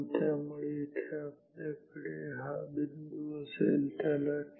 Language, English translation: Marathi, So, here we will have this point call it t 1